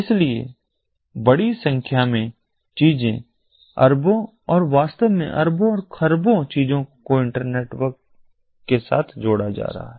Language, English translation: Hindi, so a large number of things, billions and in fact, billions and trillions of things are going to be connected to the internetwork of things